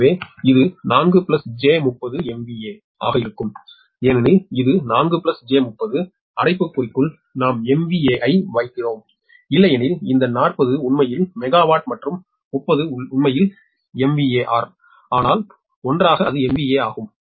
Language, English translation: Tamil, as it is four plus j thirty, in bracket we are putting m v a, otherwise this forty actually megawa megawatt and thirty actually megawatt, but together so it is m v a